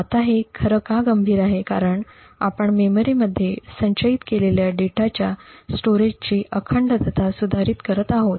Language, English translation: Marathi, Now why this is actually critical is that you are modifying the integrity of the storage of the data stored in the memory